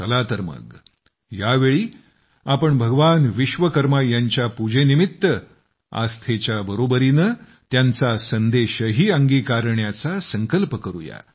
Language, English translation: Marathi, Come, this time let us take a pledge to follow the message of Bhagwan Vishwakarma along with faith in his worship